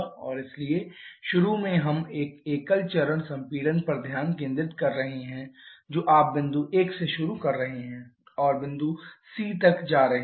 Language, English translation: Hindi, For that first we have to analyze a single stage compression and so initially we are focusing on a single stage compression that is you are starting from point 1 and going up to point C